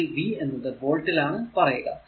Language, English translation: Malayalam, So, it will be v is equal to 8 volt